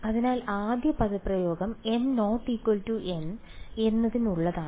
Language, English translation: Malayalam, So, the first expression is for m not equal to n